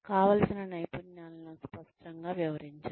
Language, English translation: Telugu, Clearly illustrate desired skills